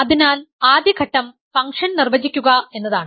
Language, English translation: Malayalam, So, the first step is to define the function